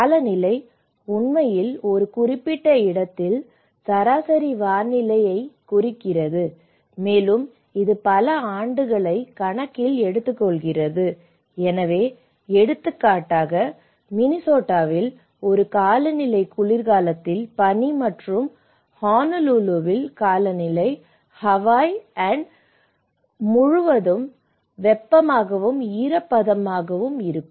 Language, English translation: Tamil, So, climate; it actually refers to the average weather conditions in a particular place, and it takes account of many years, so, for example, a climate in Minnesota is cold and snowy in winter and climate is Honolulu, Hawaii is warm and humid all year long, so which means it has taken the account of many years and that is where we are talking about what kind of climate it have